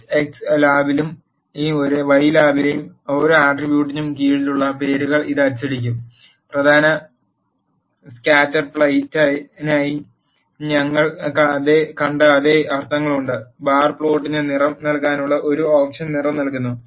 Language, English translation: Malayalam, it will print the names under the each attribute in the H x lab and y lab, and main has a same meanings as what we have seen for the scatterplot, and colour gives us an option to give colour to the bar plot